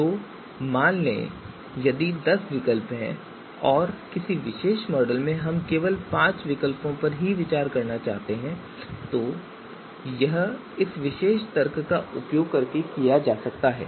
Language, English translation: Hindi, So out of the let us say if there are ten alternatives and for a particular you know model that we want to specify we would like to consider just the five alternatives so this can be done using this particular you know you know argument